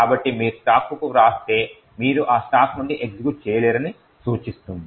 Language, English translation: Telugu, So, if you write to the stack it would imply that you cannot execute from that stack